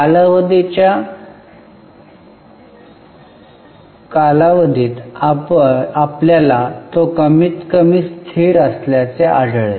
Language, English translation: Marathi, Over the period of time, you will find it is more or less constant